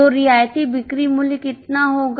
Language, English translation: Hindi, So, how much will be the concessional selling price